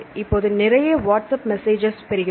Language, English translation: Tamil, Now if you get lot of whatsapp messages right